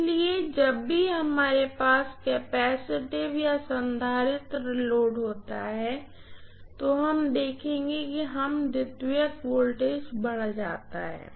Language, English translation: Hindi, So whenever we have capacitive load we will see that the secondary voltage rises